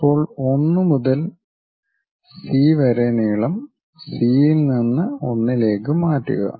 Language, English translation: Malayalam, Now, transfer 1 to C length from C to 1 here